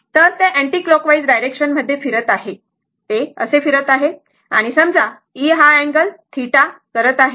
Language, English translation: Marathi, It is revolving in the anti your anticlockwise direction, this way it is revolving and suppose making an angle theta